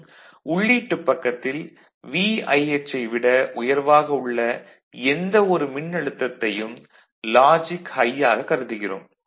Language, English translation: Tamil, And, at the input, at the input side any voltage greater than VIH will be treated as logic high ok